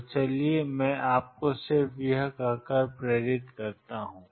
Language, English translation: Hindi, So, let me just motivate you by saying